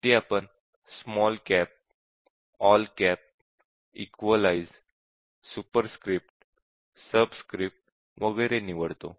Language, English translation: Marathi, And here just see depending on whether we select small cap, all cap, equalise, superscript, subscript etcetera